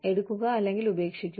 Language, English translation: Malayalam, Take it, or leave it